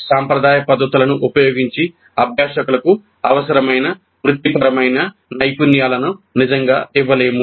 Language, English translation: Telugu, The professional skills required cannot be really imparted to the learners using the traditional methods